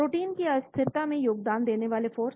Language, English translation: Hindi, The forces contributing to the instability of proteins